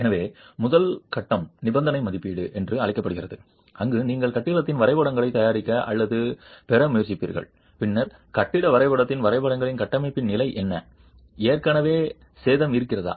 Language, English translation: Tamil, So, the first stage is called condition assessment where you would try to prepare or get the drawings of the building and then on the drawings of the building map what is the condition of the structure